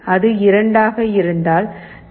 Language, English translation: Tamil, 0, if it is 2 it is 0